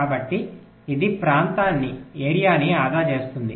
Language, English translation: Telugu, right, so this saves the area